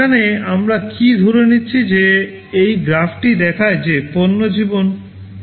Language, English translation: Bengali, Here what we assume is that as this graph shows that the product life is 2W